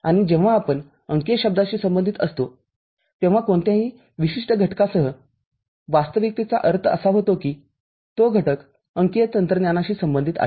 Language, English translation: Marathi, And when we associate a term digital, with any particular entity what actually we mean that that entity is associated with digital technology